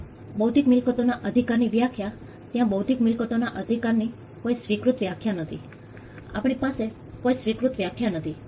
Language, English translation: Gujarati, Now definition of intellectual property rights there is no agreed definition of intellectual property right, we do not have an agreed definition